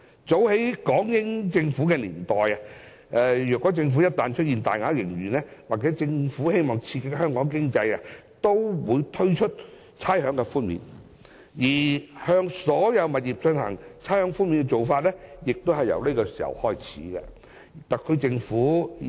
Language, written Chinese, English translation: Cantonese, 早在港英年代開始，政府一旦出現大額盈餘或希望刺激香港經濟時，均會推出差餉寬免；向所有物業作出差餉寬免的做法亦由那個時候開始。, Since the British Hong Kong era the Government had introduced rates concessions when there were huge surpluses or when it wanted to stimulate the economy and the practice of providing rates concessions to all properties had started since then